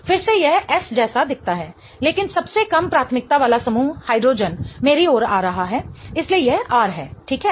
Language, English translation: Hindi, Again it looks like else but the least priority group hydrogen is coming towards me so it is R